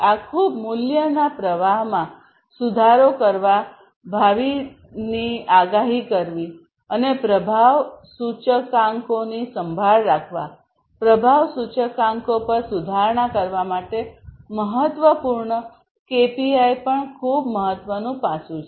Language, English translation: Gujarati, So, all of these are very important improving the value streams is important, predicting the future, and taking care of the performance indicators improving upon the performance indicators, the KPIs this is also a very important aspect